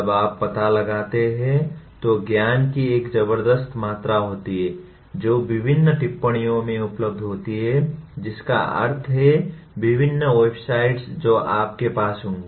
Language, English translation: Hindi, When you explore, there is a tremendous amount of knowledge that is available in various notes that means various websites that you will have